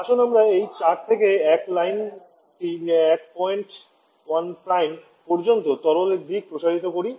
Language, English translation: Bengali, Let us extend this 4 to 1 line extend to liquid side up to a point 1 Prime